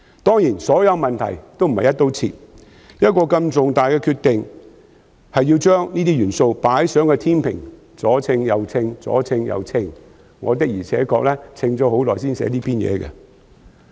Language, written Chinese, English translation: Cantonese, 當然，所有問題均並非"一刀切"，作出如此重大的決定前，要先把這些因素放在天秤上衡量，而我的確衡量了很久才寫出這篇演辭。, Certainly all of these issues cannot be considered across the board and we have to put these factors on a scale for evaluation before making such a major decision . Hence I have evaluated them for a long time before writing up this speech